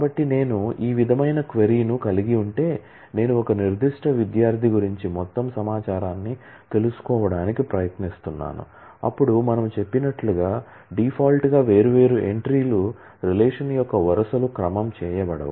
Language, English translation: Telugu, So, if I have a query like this that I am trying to find out all information about a particular student then as we have said that by default the different entries the rows of a relation are unordered